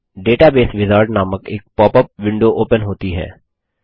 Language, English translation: Hindi, A pop up window titled Database Wizard opens